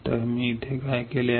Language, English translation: Marathi, So, what I have done here